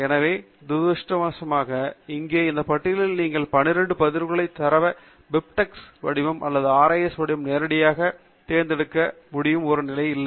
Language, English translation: Tamil, So, unfortunately here, in this list, you don’t have a methodology by which you can select the data of these 12 records as BibTeX format or RIS format directly